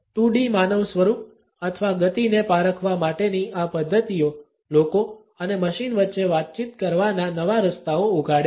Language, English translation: Gujarati, These methods for tracking 2D human form or motion open up new ways for people and machines to interact